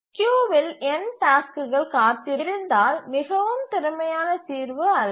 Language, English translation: Tamil, If there are n tasks waiting in the queue, not a very efficient solution